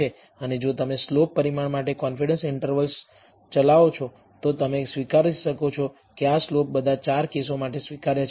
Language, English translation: Gujarati, And if you run a confidence interval for the slope parameter, you may end up accepting that this slope is acceptable for all 4 cases